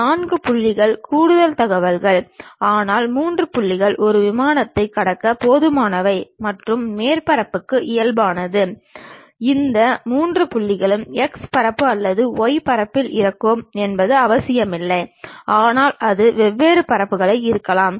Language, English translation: Tamil, Four points is additional information, but three points is good enough to pass a plane and the normal to the surface is not necessary that all these three points will be on x plane or y plane, but it can be on different planes